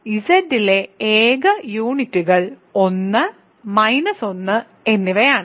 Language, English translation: Malayalam, So, the only units; so, the only units in Z are 1 and minus 1 ok